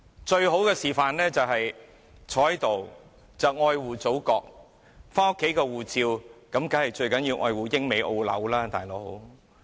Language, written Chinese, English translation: Cantonese, 最好的示範就是坐在這裏愛護祖國，但家裏的護照當然最重要是愛護英、美、澳、紐。, In essence while they are sitting here showing their love to the country they are keeping their passports from the United Kingdom the United States Australia or New Zealand at home as that is more important